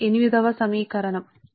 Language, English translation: Telugu, this is equation forty eight